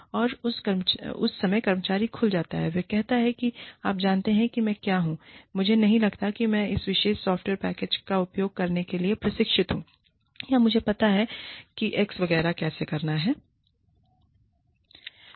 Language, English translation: Hindi, And, that time, the employee opens up and says, you know, what i am, i do not think, that i am trained to use this particular software package, or i know, how to do x, etcetera